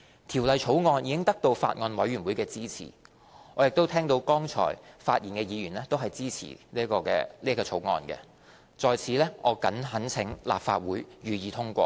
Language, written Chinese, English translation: Cantonese, 《條例草案》已得到法案委員會的支持，我亦聽到剛才發言的議員都支持《條例草案》，我在此懇請立法會予以通過。, The Bill has received the support of the Bills Committee . I also heard the Members who spoke just now expressing support for the Bill . I earnestly request the Legislative Council to pass the Bill